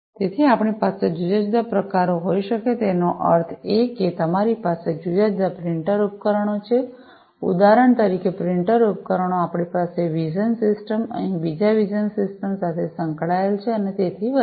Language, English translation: Gujarati, So, we can have different types I mean this can be extended even further you can have these different printer devices for example, printer devices we can have vision systems connected over here vision systems, and so on